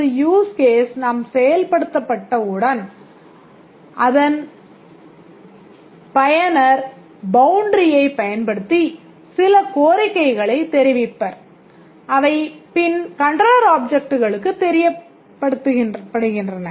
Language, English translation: Tamil, As soon as a use case is executed, the user uses the boundary to enter some request and then that gets reported to the controller object